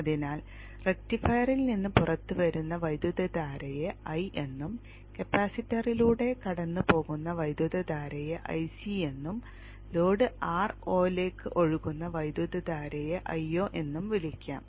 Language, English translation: Malayalam, So the current that is coming out of the rectifier you will call it as I, the current that goes through the capacitor as I see, the current that flows into the load R0 as I0